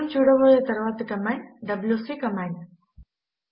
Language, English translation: Telugu, The next command we will see is the wc command